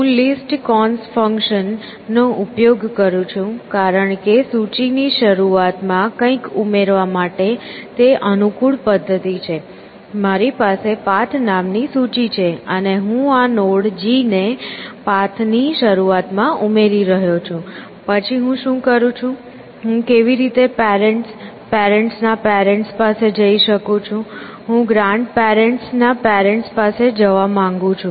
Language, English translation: Gujarati, So, I am using the list cons functions, because it is a convenient mechanism to add something to the head of a list, so I have a list called path, and I am adding this node G at the head of the path, then what do I do, how do I go to the parent, parents parent, I want to go to the grandparent